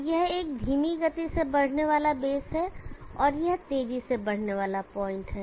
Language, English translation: Hindi, So this is a slow moving base, and this is a fast moving point